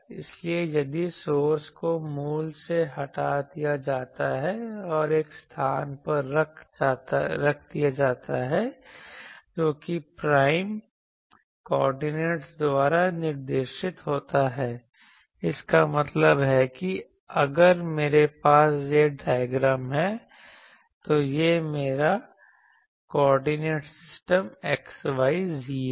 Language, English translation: Hindi, So, if the source is removed from the origin and placed at a position represented by prime coordinates that means, if I has this diagram that this is my coordinate system xyz